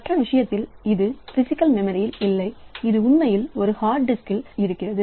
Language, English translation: Tamil, In the other case it is not present in the physical memory it is actually a hard disk location